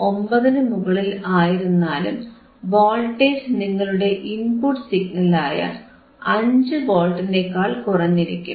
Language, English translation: Malayalam, 9, you can still see voltage which is less than your original voltage or input signal which is 5 Volt